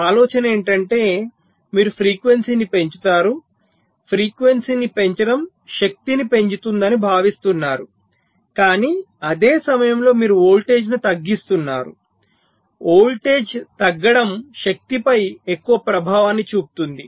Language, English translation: Telugu, so the idea is that you increase the frequency, but increasing frequency is expected to increase the power, but at the same time you decrease the voltage